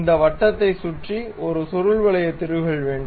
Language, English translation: Tamil, Around that circle we would like to have a helical thread